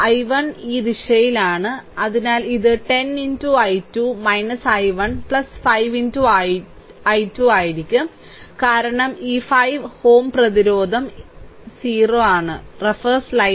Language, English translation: Malayalam, And i 1 is in this direction, so it will be 10 into i 2 minus i 1 right plus 5 into i 2, because this 5 ohm resistance is there this 5 i 2 is equal to 0